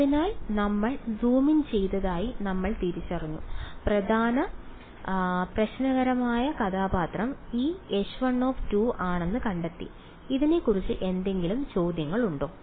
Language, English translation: Malayalam, So, we have identified we are zoomed in zoomed in and found out that the main problematic character is this H 1 2 any questions about this